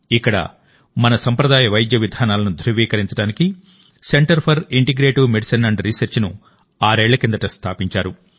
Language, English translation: Telugu, Here, the Center for Integrative Medicine and Research was established six years ago to validate our traditional medical practices